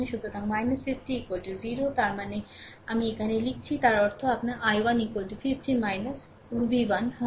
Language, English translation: Bengali, So, minus 50 is equal to 0, right; that means, I am writing here; that means, your i 1 will be is equal to 50 minus v 1